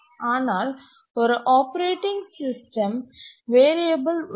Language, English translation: Tamil, This is the operating system variable